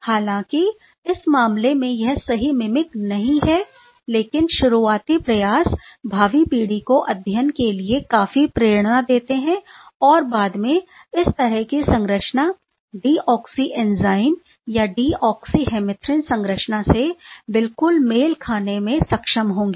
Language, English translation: Hindi, Because although in this case it is not the correct mimic, but these initial attempts less the pathway for the future generation studies which takes quite a lot of inspiration and then, subsequently were able to exactly match this sort of structure or the enzyme deoxy even the oxy hemerythrin structure